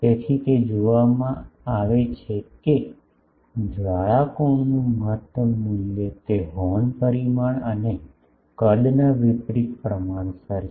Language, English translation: Gujarati, So, it is seen that maximum value of the flare angle, that is inversely proportional to the horns dimension and size